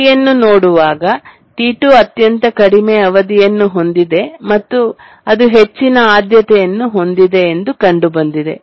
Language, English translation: Kannada, So we look through the period and find that T2 has the lowest period and that has the highest priority